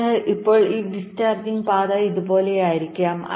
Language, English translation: Malayalam, so now this discharging path will be like this